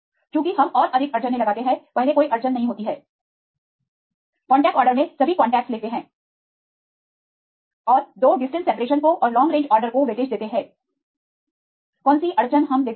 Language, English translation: Hindi, Because we impose more constraints first one no constraint, in the contact order the contact take all contacts and they give weightage 2 distance separation and long range order what is the constraint we give